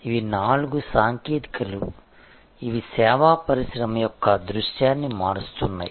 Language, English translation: Telugu, These are four technologies, which are changing the service industries landscape